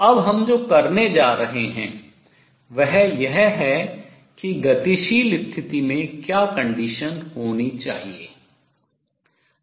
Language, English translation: Hindi, What we are going to do now is write what the condition on the dynamical condition should be